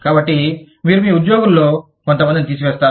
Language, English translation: Telugu, So, you need to terminate, some of your employees